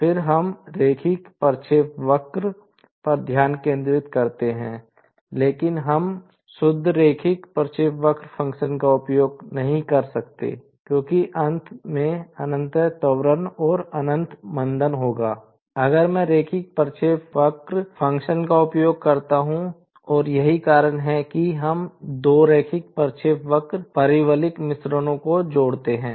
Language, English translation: Hindi, Then, we concentrate on the linear trajectory, but we cannot use the pure linear trajectory function because there will be infinite acceleration and infinite deceleration at the ends, if I use the linear trajectory function and that is why, we use 2 parabolic blends at two ends of the linear trajectory function